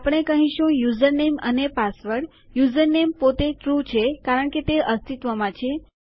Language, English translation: Gujarati, We are saying username and password basically username itself is true because it exists..